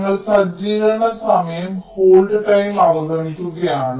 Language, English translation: Malayalam, we are ignoring setup time, hold time